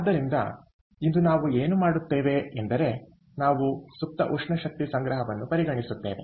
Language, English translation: Kannada, ok, so today what we will do is we will look at latent thermal energy storage